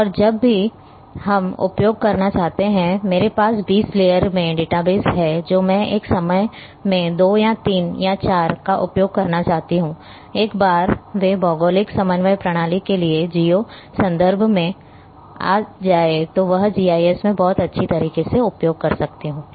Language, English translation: Hindi, And whenever we want to use out of say I am having in my database 20 layer I want to use two or three or four at a time, I can very well use in GIS once they are geo reference to the geographic coordinate system